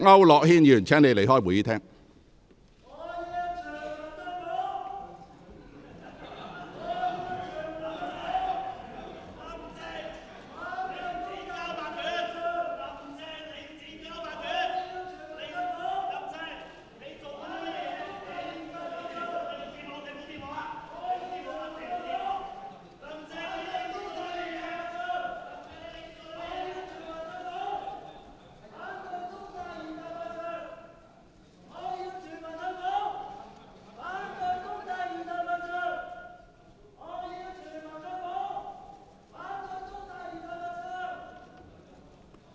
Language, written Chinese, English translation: Cantonese, 毛孟靜議員，請你離開會議廳。, Ms Claudia MO please leave the Chamber